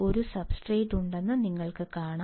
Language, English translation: Malayalam, You can see there is a substrate